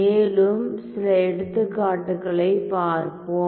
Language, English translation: Tamil, So, let us now look at further examples